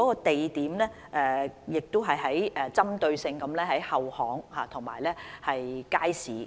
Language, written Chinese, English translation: Cantonese, 地點方面，會針對性在後巷和街市這些地點。, As to venues and black spots we will focus on places such as rear lanes and wet markets